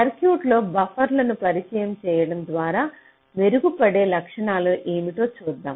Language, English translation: Telugu, lets see what are the characteristics that get improved by introducing or inserting buffers in the circuit